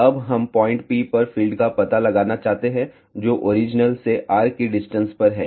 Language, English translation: Hindi, Now, we want to find out the field at a point P, which is at a distance of r from the origin